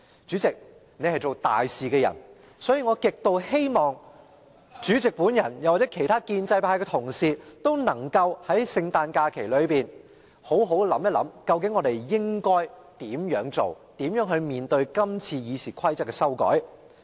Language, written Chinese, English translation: Cantonese, 主席，你是做大事的人，所以我極希望主席及其他建制派同事皆能在聖誕假期內好好地想想，究竟應該如何行事，如何處理這次《議事規則》的修訂。, President you are someone cut out for great achievements so I hope very much that the President and other Honourable colleagues of the pro - establishment camp can consider seriously during the Christmas holidays how they should actually go about their business and how to deal with the amendments to RoP this time around